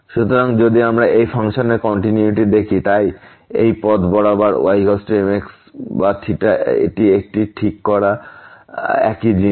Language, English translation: Bengali, So, if we look at the continuity of this function; so along this path is equal to or fixing theta it is the same thing